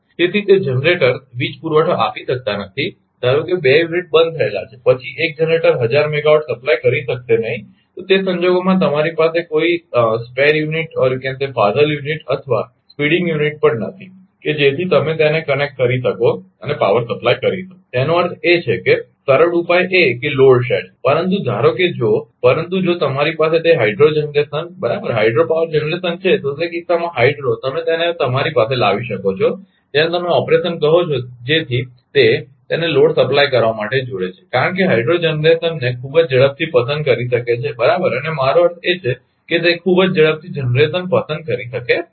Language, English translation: Gujarati, So, those generators cannot supply power suppose 2 unit shut own, then 1 generator cannot supply thousand megawatt, then in that case you do not have any spear unit also or speeding unit, such that you can connect it and supply the power; that means, easy solution is the load shedding, but suppose if, but if you have that hydro generation right hydro power generation then in that case hydro hydro, you can bring it to the your what you call operation such that it ah connect it to supply the load, because hydro can pick up the generation very fast right and, I mean ah I mean very quickly it can pick up the generation right